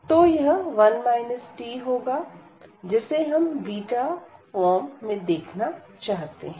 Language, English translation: Hindi, So, this will be 1 minus t which we want to have to see this beta form